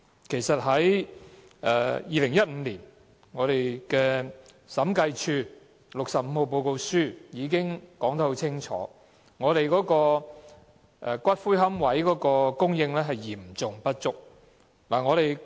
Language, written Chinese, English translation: Cantonese, 其實 ，2015 年《審計署署長第六十五號報告書》已清楚說明，龕位的供應嚴重不足。, In fact it was clearly stated in Report No . 65 of the Director of Audit in 2015 that the supply of niches was seriously inadequate